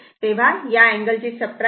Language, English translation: Marathi, So, this angle will be subtracted from this one